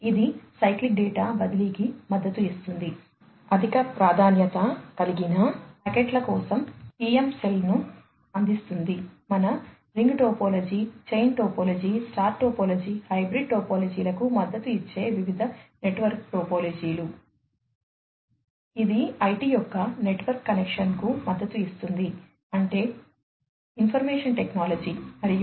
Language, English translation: Telugu, It supports cyclic data transfer provides PM cell for packets with high priority, different network topologies that are supported our ring topology, chain topology, star topology, hybrid topologies